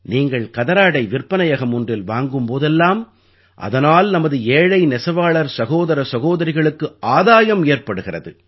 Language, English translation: Tamil, Whenever, wherever you purchase a Khadi product, it does benefit our poor weaver brothers and sisters